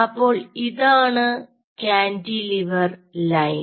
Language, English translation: Malayalam, ok, so this is your single cantilever